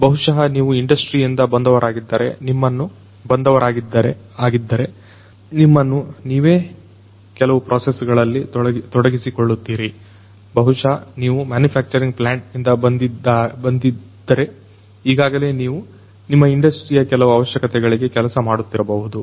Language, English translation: Kannada, Maybe if you are coming from an industry, you might yourself be involved in certain processes, maybe if you are coming from a manufacturing plant, there might be certain requirements that might be already there in your particular industry in which you are serving